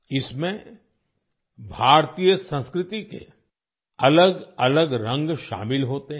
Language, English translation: Hindi, It includes myriad shades of Indian culture